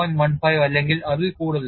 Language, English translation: Malayalam, 15 or so